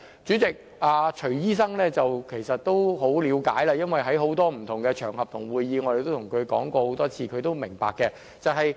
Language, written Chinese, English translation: Cantonese, 主席，徐醫生其實已很了解，因為我們在很多不同場合和會議都對他說過很多次，他也十分明白。, President Dr CHUI should have a good understanding of our request because we have told him many times on different occasions and at different meetings